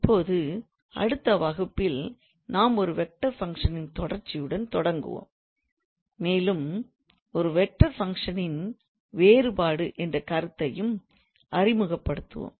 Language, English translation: Tamil, Now in the next class, we will start with the continuity of a vector function and probably will also introduce the concept of a differentability of a vector function